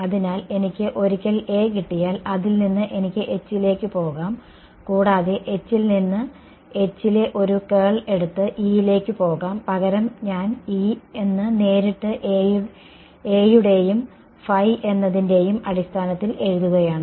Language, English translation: Malayalam, So, I can go from once get A I can go to H and from H I can go to E by taken curl of H, but instead I am writing E directly in terms of A and phi